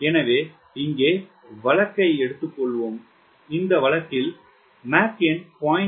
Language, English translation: Tamil, so let us take case here and lets say mach number is point three